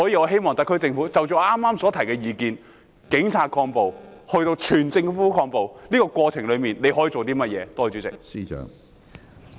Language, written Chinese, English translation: Cantonese, 希望特區政府就我剛才所提出的意見，即是由警察抗暴推動至整個政府抗暴，在這個過程中，他可以做甚麼？, I hope the SAR Government can give an account of what it can do in respect of the views presented by me just now . That is what can he do in the course of advancing the countering of violence by the Police to countering of violence by the entire Government?